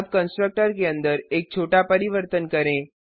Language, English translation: Hindi, Now, let us make a small change inside the constructor